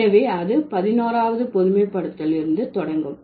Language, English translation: Tamil, So, that's the 11th generalization